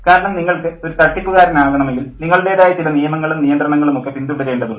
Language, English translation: Malayalam, Because to become a conman, you have to follow certain rules and regulations of your own, you know, how bad they are